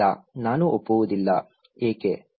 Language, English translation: Kannada, No, I will not agree, why